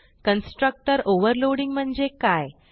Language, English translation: Marathi, This is how constructor overloading is done